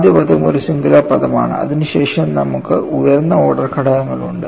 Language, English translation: Malayalam, First term is a singular term, then you have a higher order terms